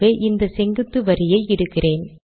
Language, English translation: Tamil, So let me put that vertical line